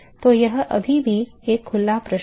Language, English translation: Hindi, So, it is still an open question